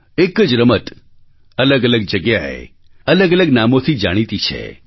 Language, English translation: Gujarati, A single game is known by distinct names at different places